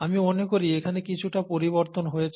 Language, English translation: Bengali, I think there has been a slight shift here